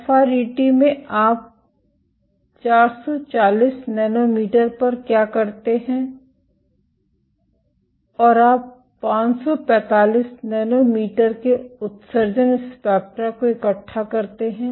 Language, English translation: Hindi, In FRET what you do you excite at 440 nanometers and you collect the emission spectra of 545 nanometers